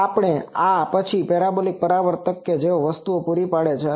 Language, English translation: Gujarati, So, this and then the on parabolic reflector they fall that thing